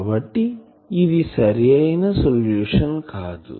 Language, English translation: Telugu, So, this solution is not possible